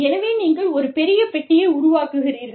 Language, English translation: Tamil, So, you build a bigger box